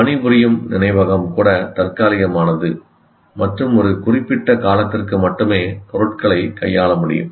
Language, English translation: Tamil, And even working memory is temporary and can deal with items only for a limited time